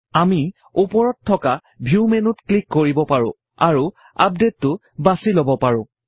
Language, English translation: Assamese, We can also click on the View menu at the top and choose Update